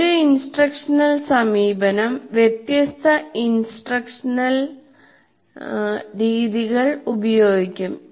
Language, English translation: Malayalam, And then an instructional approach will use different instructional methods